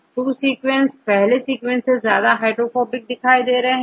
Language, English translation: Hindi, Second sequence is more hydrophobic than the first sequence, right